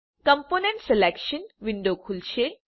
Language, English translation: Gujarati, The component selection window will open up